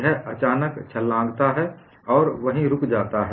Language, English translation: Hindi, Suddenly, it jumps and stops there